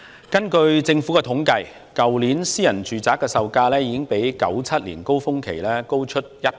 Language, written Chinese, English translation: Cantonese, 根據政府的統計，去年私人住宅售價已經較1997年的高峰期高出超過1倍。, According to the Governments survey the prices of private residential properties last year were more than double of those in the peak in 1997